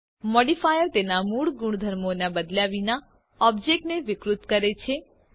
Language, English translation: Gujarati, A Modifier deforms the object without changing its original properties